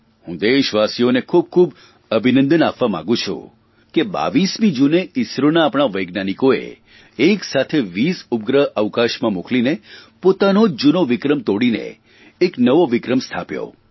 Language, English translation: Gujarati, I also want to congratulate the people of the country that on 22nd June, our scientists at ISRO launched 20 satellites simultaneously into space, and in the process set a new record, breaking their own previous records